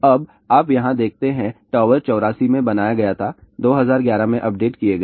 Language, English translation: Hindi, Now, you see there, tower was built in 84 just updated on 2011